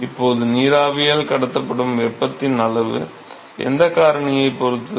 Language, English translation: Tamil, Now, the extent of heat that is carried by the vapor depends upon what factor